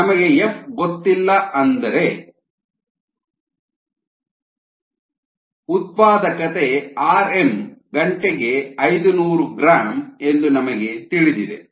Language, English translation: Kannada, we don't know f, but we know that the productivity is five hundred gram per hour